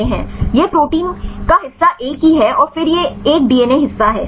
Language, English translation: Hindi, This is the protein part the same right and then this is a DNA part